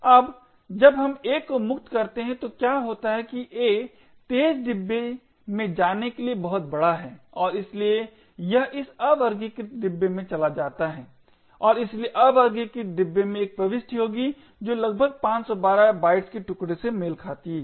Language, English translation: Hindi, Now what happens when we free a is that a is too large to go into a fast bin and therefore it goes into this unsorted bin and therefore the unsorted bin would have an entry which corresponds to the chunk of approximately 512 bytes